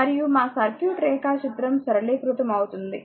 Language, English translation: Telugu, And for such that our circuit diagram will be simplified